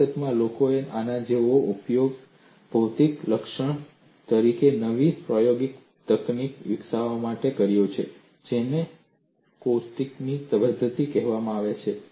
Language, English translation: Gujarati, In fact, people have utilized this as a physical feature to develop a new experimental technical called method of caustics